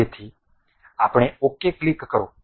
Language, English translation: Gujarati, So, then click ok